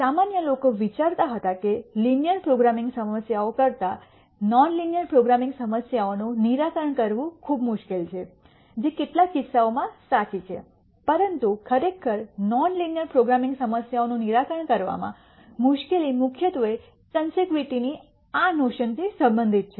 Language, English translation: Gujarati, In general people used to think non linear programming problems are much harder to solve than linear programming problems which is true in some cases, but really the difficulty in solving non linear programming problems is mainly related to this notion of convexity